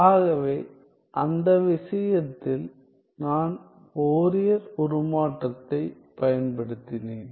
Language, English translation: Tamil, So, in that case if I were to apply the Fourier transform